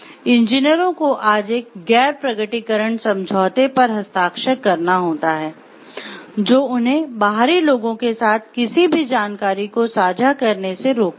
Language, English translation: Hindi, Engineers today are required to sign a disclosure, non disclosure agreement which binds them from sharing any information with outsiders